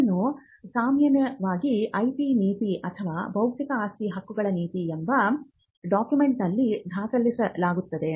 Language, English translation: Kannada, Now, this is usually captured in a document called the IP policy, the intellectual property policy or the intellectual property rights policy